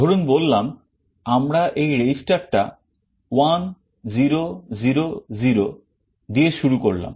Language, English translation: Bengali, Let us say we initialize this register with 1 0 0 0